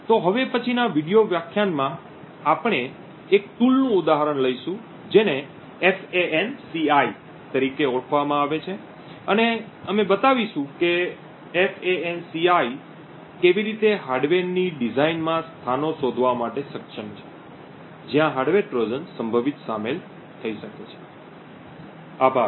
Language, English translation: Gujarati, So in the next video lecture we will take one example of a tool which is known as FANCI and we will show how FANCI is able to potentially detect locations within a design of hardware where hardware Trojans may potentially be inserted, thank you